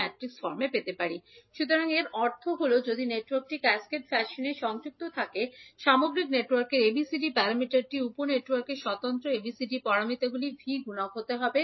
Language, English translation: Bengali, So, that means that if the network is connected in cascaded fashion, the ABCD parameter of overall network can be V multiplication of individual ABCD parameters of the sub networks